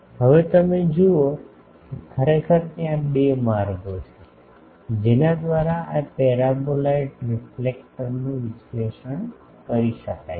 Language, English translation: Gujarati, Now, you see that actually you see that there are two ways by which this paraboloid reflector can be analysed